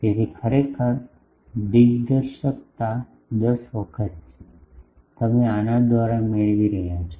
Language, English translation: Gujarati, So, actually directivity is 10 times that, you are getting by this one